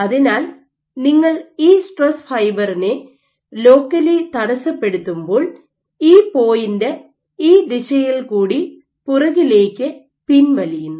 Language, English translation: Malayalam, So, you have you have locally disrupted this stress fiber, this point will retract along the line backward and this point will retract along this line in this direction